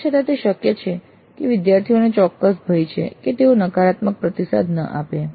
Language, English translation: Gujarati, But still it is possible that there is certain fear on the part of the students that they should not be giving negative feedback